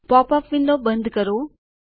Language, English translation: Gujarati, Close the pop up window